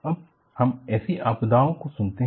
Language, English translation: Hindi, Now, we hear such disasters